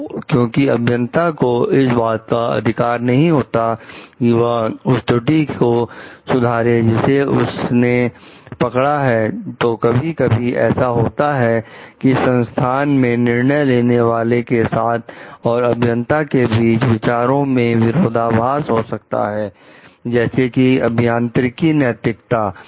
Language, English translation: Hindi, So, because engineers do not have the authority to remedy the errors that they have detected, so it sometimes happen there is a difference in thought process between the decision makers in their organization to attending to it and the engineering, like engineering ethics